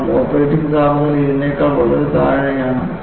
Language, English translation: Malayalam, Because the operating temperature is far below this